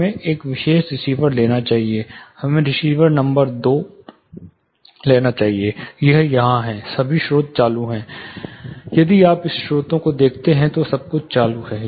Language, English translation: Hindi, Let us take receiver number two, this is here all the sources are on, if you look at all the sources everything is on